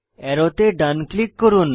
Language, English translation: Bengali, Right click on the arrow